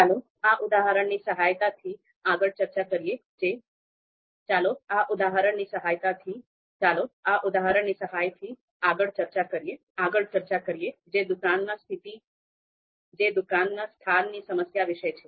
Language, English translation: Gujarati, So let’s discuss further with the help of this example which is about a shop location problem